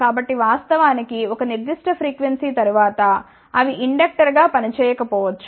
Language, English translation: Telugu, So in fact, after a certain frequency they may not work as an inductor